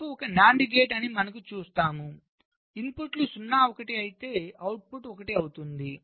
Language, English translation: Telugu, you see, f is a nand gate inputs a zero one, output is one